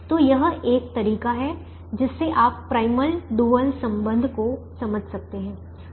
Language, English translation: Hindi, so that is one way to understand primal dual relationship